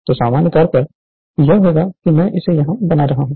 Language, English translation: Hindi, So, in general, it will be I am making it here for you